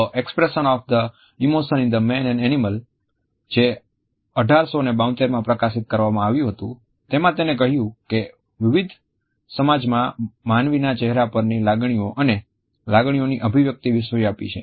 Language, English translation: Gujarati, In a treatise, The Expression of the Emotions in Man and Animals which was published in 1872, he had propounded this idea that the expression of emotions and feelings on human face is universal in different societies